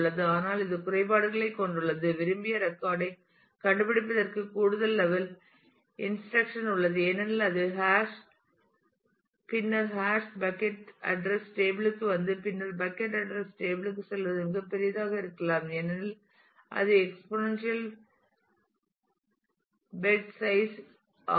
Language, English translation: Tamil, But it does have disadvantages for example, there is a extra level of indirection to find the desired record because it the hash then come to the hash bucket address table and then go to the bucket address table itself may be very big because it is exponential in the size of the number of beds